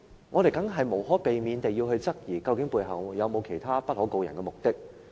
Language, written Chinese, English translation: Cantonese, 我們無可避免地會質疑背後有否其他不可告人的目的。, Inevitably we will doubt whether there are any hidden agenda